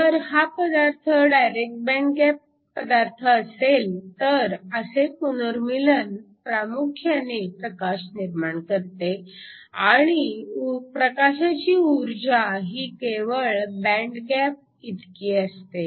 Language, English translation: Marathi, If your material is a direct band gap material then this recombination will dominantly produce light and the energy of the light is just given by the band gap